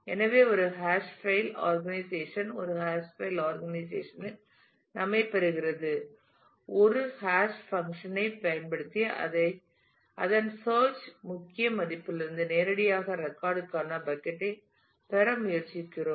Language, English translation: Tamil, So, a hash file organization obtains we in a hash file organization; we attempt to obtain a bucket for a record directly from its search key value using a hash function